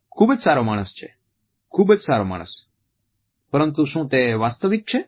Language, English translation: Gujarati, Very good man very good man, but is it all genuine